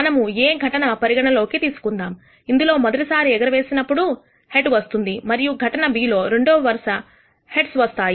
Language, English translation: Telugu, Let us consider the event A which is a head in the first toss and event B which is two successive heads